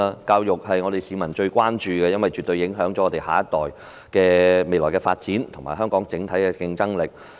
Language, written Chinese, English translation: Cantonese, 教育是市民最關注的課題，因為絕對能影響我們下一代未來的發展及香港整體的競爭力。, Education is a subject of greatest concern to the public because it will definitely affect the development of our next generation and the overall competitiveness of Hong Kong